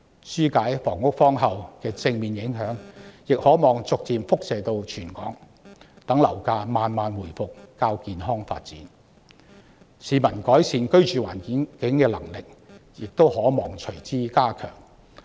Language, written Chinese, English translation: Cantonese, 紓解房屋荒後的正面影響亦可望逐漸延伸至全港，讓樓市慢慢回復較健康的發展，市民改變居住環境的能力因而隨之加強。, After the housing shortage is alleviated the positive effects will hopefully spread across Hong Kong so that healthier development of the property market will resume thereby empowering people to change their living environment